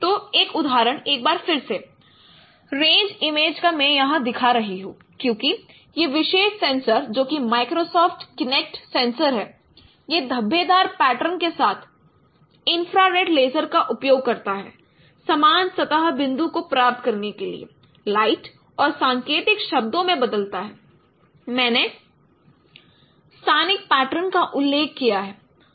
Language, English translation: Hindi, So, one example once again the same example of range image I am showing here because this particular sensor which is Microsoft Kinnate sensor it uses infrared laser light with speckle pattern to get the scene point surface points and to encode the corresponding light points as I mentioned using spatial patterns